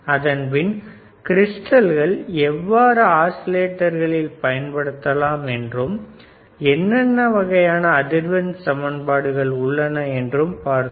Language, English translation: Tamil, tThen we have seen how we can use this crystal as an oscillator and what are the kind of frequency formulae that we can find